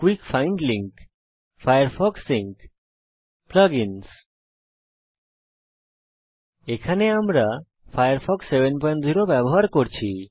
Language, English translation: Bengali, *Quick find link *Firefox Sync *Plug ins Here we are using, firefox 7.0 on Ubuntu 10.04